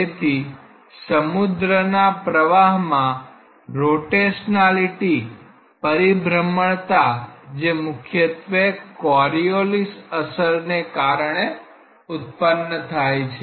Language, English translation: Gujarati, So, there are rotational it is in the ocean currents which are predominantly created by the Coriolis effects